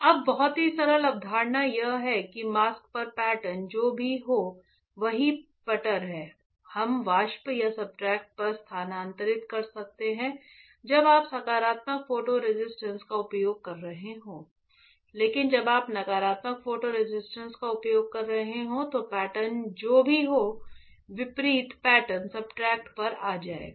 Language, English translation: Hindi, Now very simple concept is whatever the pattern on the mask is there same patter, we can transfer on the vapor or substrate when you are using positive photo resist, but when you are using a negative photo resist then whatever the pattern is that the opposite pattern will come on the substrate alright